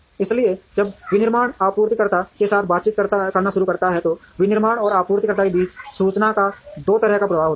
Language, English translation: Hindi, So, when the manufacturing starts interacting with the suppliers, there is a two way flow of information between the manufacturing and the suppliers